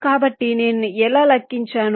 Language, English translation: Telugu, so how did i calculate